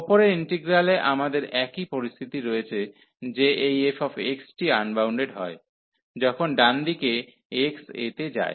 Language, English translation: Bengali, So, the same situation like we have in the above integral that this f x is unbounded, when x goes to a from the right hand side